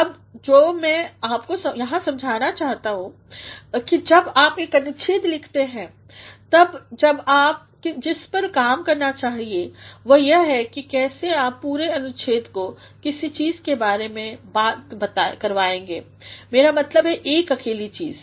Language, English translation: Hindi, Now, what I intend to convince you here is, that when you are writing a paragraph what you should work is how you are going to make the entire paragraph talk about something, I mean a single thing